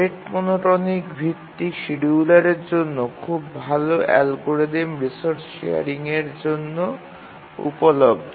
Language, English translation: Bengali, We will see that for the rate monotonic best schedulers, very good algorithms are available for resource sharing